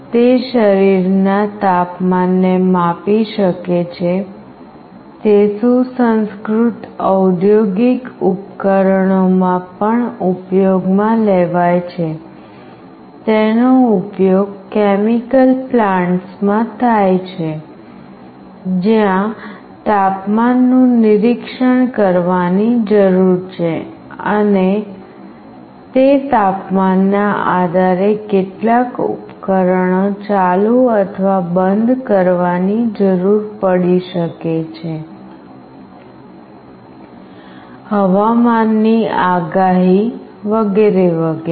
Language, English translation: Gujarati, It can measure the temperature of a body, it is also used in sophisticated industrial appliances, it is used in chemical plants, where it is needed to monitor the temperature and depending on that temperature certain devices may be required to be made on or off, weather forecast, etc